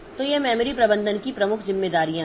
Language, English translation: Hindi, So, these are the major responsibilities of process memory management